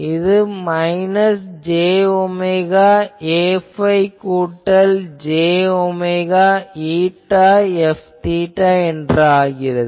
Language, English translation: Tamil, So, again this is minus j omega A phi plus j omega eta F theta